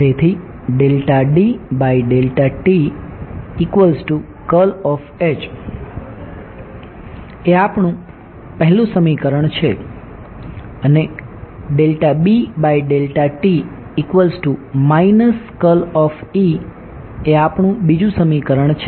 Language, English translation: Gujarati, So, this is our first equation this is our second equation